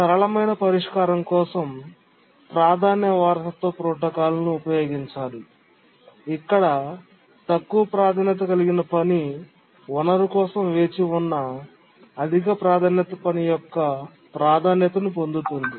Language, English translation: Telugu, The simplest solution is the priority inheritance protocol where a low priority task inherits the priority of high priority task waiting for the resource